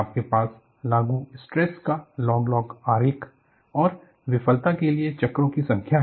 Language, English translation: Hindi, And, you have a log log plot of the stress applied and the number of cycles to failure